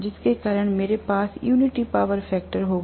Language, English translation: Hindi, Due to which I will have unity power factor